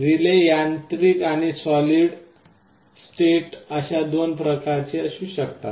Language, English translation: Marathi, Relays can be of two types, mechanical and solid state